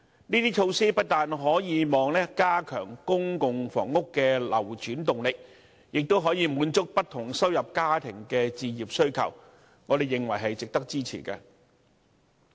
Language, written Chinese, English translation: Cantonese, 這些措施不但可加強公共房屋的流轉動力，亦可滿足不同收入家庭的置業需求，我們認為值得支持。, These measures will not only enhance the turnover of public housing units but also satisfy the demand of families with different incomes for home ownership . We consider them worth our support